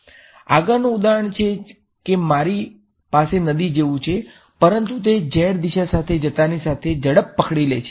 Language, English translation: Gujarati, The next example that I have is like the river, but it is catching speed as it goes along the z direction